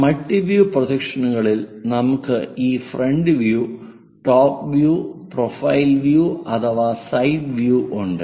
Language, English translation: Malayalam, In multi view projections, we have these front view, top view and profile view or perhaps side views